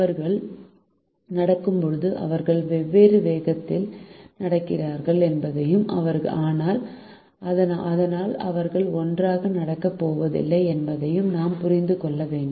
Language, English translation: Tamil, and we also have to understand that when they are walking they are walking at different speeds and therefore there not going to walk together